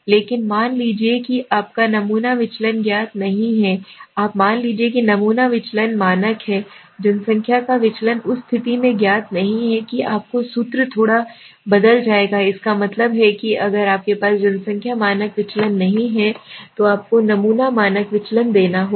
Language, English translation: Hindi, But suppose your sample deviation is not known, suppose the sample deviation, the standard deviation of the population is not known in that case your formula will slightly change that means if you do not have the population standard deviation you have to take the sample standard deviation